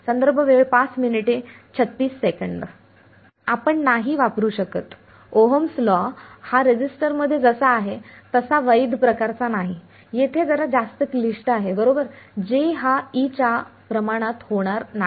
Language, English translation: Marathi, We can use no, that Ohms law is not ohms law sort of valid in the resistor, here there is a little bit more complicated right J is not going to be proportional to E